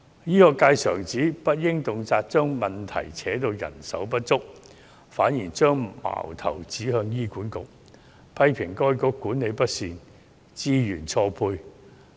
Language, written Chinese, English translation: Cantonese, 醫學界常指，不應動輒將問題扯到人手不足方面；他們反將矛頭指向醫管局，批評當局管理不善、資源錯配。, The healthcare sector often says that manpower shortage should not be always blamed for the problems . On the contrary they point an accusing finger at HA criticizing HA for its mismanagement and mismatch of resources